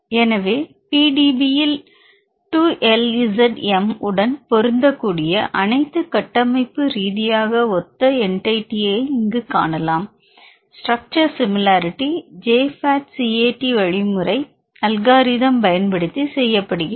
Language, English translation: Tamil, So, here we can see all the structurally similar entities in PDB which match 2 LZM, structure is done you are the structural, similarity is done using the J FAT CAT rigid algorithm, you can also choose other algorithms here